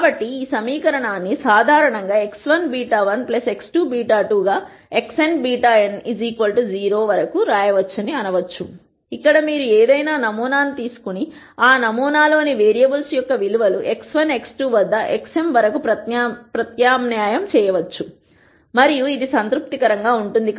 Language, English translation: Telugu, So, one might say that this equation can generally be written as x 1 beta 1 plus x 2 beta 2 all the way up to x n beta n is 0; where you can take any sample and substitute the values of the variables in that sample at x 1 x 2 up to x n and this is to be satis ed